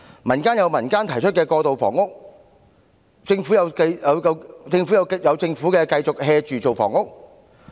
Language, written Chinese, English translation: Cantonese, 民間有民間提出過渡性房屋計劃，政府有政府繼續""着處理房屋問題。, While the community is putting forward transitional housing initiatives the Government is still taking its relaxed attitude in dealing with housing issues